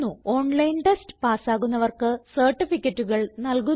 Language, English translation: Malayalam, Give certificates for those who pass an online test